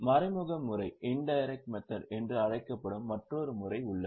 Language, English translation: Tamil, There is another method which is known as indirect method